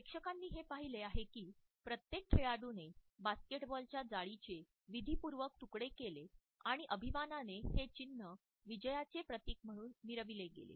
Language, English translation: Marathi, The audience witnessed that each player had ritualistically cut a piece of the basketball net and proudly clutched this symbol of victory